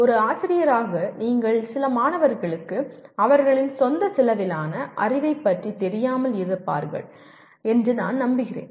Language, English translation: Tamil, And I am sure as a teacher you would have faced some students not being aware of their own level of knowledge